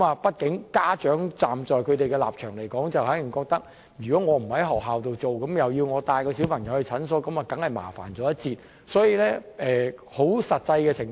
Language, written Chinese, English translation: Cantonese, 畢竟，在家長的立場來說，他們可能覺得如果不在學校接種，要自行帶小朋友到診所接種，會有些麻煩。, From the perspective of parents they may think that if vaccination is not done at school it will be a bit troublesome for them to bring their children to clinics for vaccination